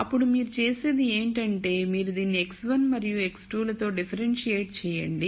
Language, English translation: Telugu, Then what you do is, you differentiate this with respect to x 1 and x 2